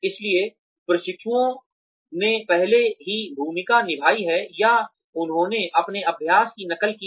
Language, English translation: Hindi, So, the trainees have already played the role, or they have copied their practice